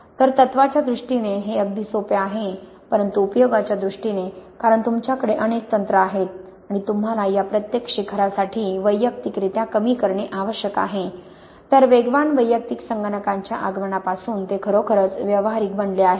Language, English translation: Marathi, So this is quite easy in terms of the principle but in terms of the application, because you have many, many techniques and you have to minimize individually for each of these peaks, then it is really only become practical since the advent of fast personal computers